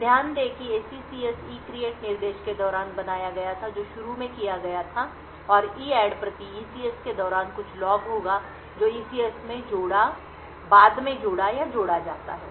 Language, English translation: Hindi, So, note that the SECS was created during the ECREATE instruction which was done initially and during the EADD per ECS there will some log which gets appended or added in the ECS